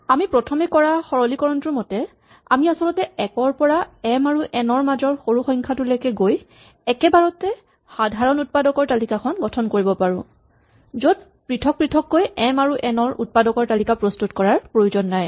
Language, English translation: Assamese, Our first simplification was to observe that we can actually do a single pass from 1 to the minimum of m and n and directly compute the list of common factors without first separately computing the factors on m and the factors of n